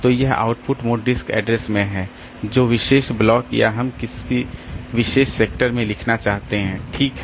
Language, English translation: Hindi, Then the disk address which particular block or which particular sector we want to write